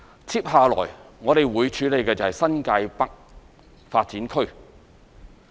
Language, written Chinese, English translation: Cantonese, 接下來，我們會處理新界北發展區。, Next we will deal with the New Territories North Development